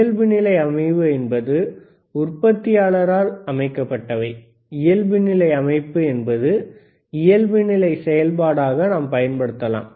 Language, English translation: Tamil, Ddefault setup is whatever the setup is given by the manufacturer, default setup we can we can use as a default function